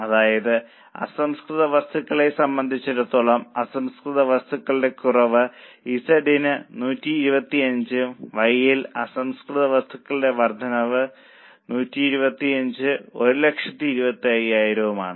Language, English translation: Malayalam, That means as far as raw material is concerned, less of raw material for Z is 125 and increase of raw material in Y is 125, 1,000